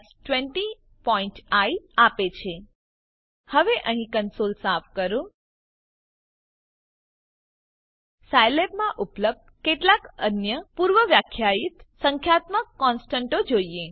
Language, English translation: Gujarati, + 20.i Now clear the console here, Let us see some other predefined numerical constants available in Scilab